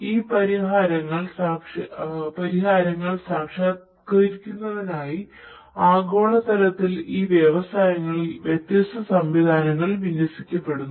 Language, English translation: Malayalam, Different different systems are being deployed in these industries globally in order to realize these solutions